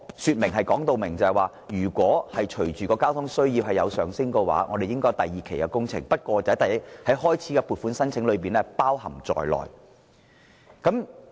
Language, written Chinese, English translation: Cantonese, 此外，政府當時清楚說明，隨着交通需要上升，政府會進行第二期工程，不過，有關開支已包含在原先的撥款中。, Moreover the Government explained clearly then that it would proceed with the second phase works when the traffic need rose . However the cost concerned was already included in the original funding allocation